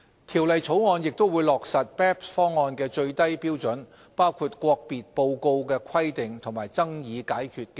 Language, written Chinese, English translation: Cantonese, 《條例草案》亦會落實 BEPS 方案的最低標準，包括國別報告規定及爭議解決機制。, The Bill also implements the minimum standards of the BEPS package which include imposing country - by - country reporting requirements and improving the relevant dispute resolution mechanism